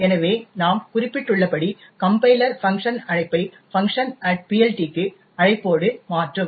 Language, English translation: Tamil, So, as I have mentioned the compiler would replace the call to func with the call to func at PLT